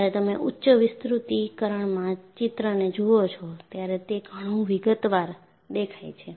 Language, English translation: Gujarati, When you see the picture in high magnification, you see the kind of detail that you look at